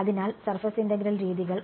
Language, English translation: Malayalam, So, surface integral methods